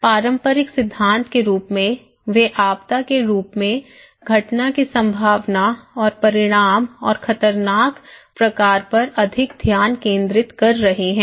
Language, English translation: Hindi, Now, as the conventional theory, they are focusing more on the probability and consequence and hazard kind of event as disaster